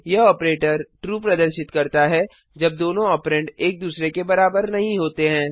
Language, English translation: Hindi, This operator returns true when both operands are equal to one another